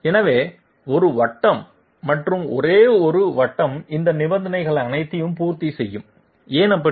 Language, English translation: Tamil, So a circle and only one circle will satisfy all these conditions, why so